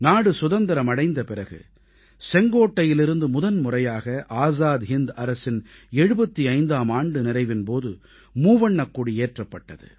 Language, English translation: Tamil, After Independence, for the first time ever, the tricolor was hoisted at Red Fort on the 75th anniversary of the formation of the Azad Hind Government